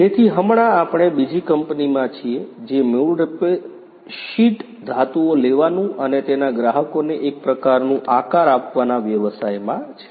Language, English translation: Gujarati, So, right now we are in another company which is basically into the business of taking sheet metals and giving it some kind of a shape for its clients